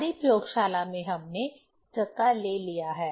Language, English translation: Hindi, In our laboratory we have taken flywheel